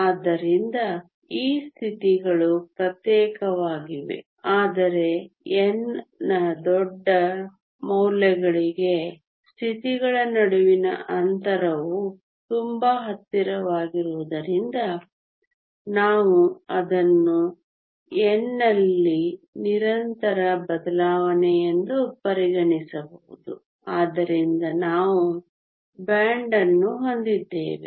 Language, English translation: Kannada, So, these states are discrete, but for large values of N the spacing between the states are so close that we can take it to be a continuous change in N, so we have a band